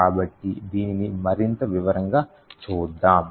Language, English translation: Telugu, So, let us see this more in detail